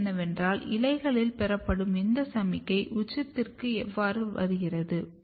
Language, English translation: Tamil, The question is that how this signal which is being received in the leaves are getting communicated to the apex